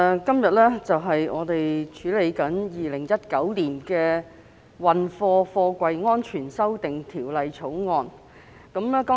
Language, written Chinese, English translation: Cantonese, 代理主席，本會今天處理《2019年運貨貨櫃條例草案》。, Deputy Chairman this Council is dealing with the Freight Containers Safety Amendment Bill 2019 the Bill today